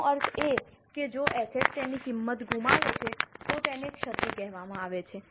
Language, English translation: Gujarati, That means if asset loses its value it is called as impairment